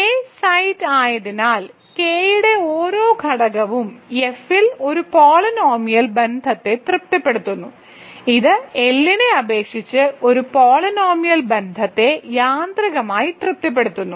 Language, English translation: Malayalam, Because K site, every element of K satisfies a polynomial relation over capital F, so it automatically satisfies a polynomial relation over capital L